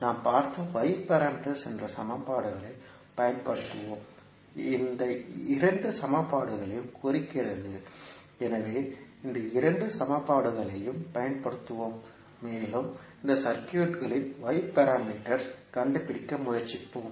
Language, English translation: Tamil, We will use the equations that is y parameters what we just saw means these two these two equations, so we will use these two equations and try to find out the y parameters of this circuit